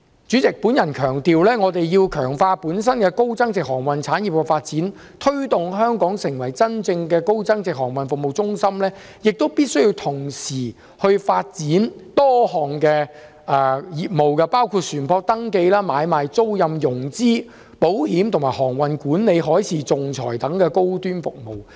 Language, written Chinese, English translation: Cantonese, 主席，我想強調，我們必須強化本地高增值航運產業的發展，推動香港成為真正高增值航運服務中心，也必須同時發展多項業務，包括船舶登記、買賣、租賃、融資、保險，以及航運管理、海事仲裁等高端服務。, President I wish to stress that we must strengthen the development of the local high value - added maritime services and promote Hong Kong as a genuinely high value - added maritime services centre . At the same time a number of high - end services such as vessel registration trading leasing financing and insurance as well as maritime management and arbitration should also be developed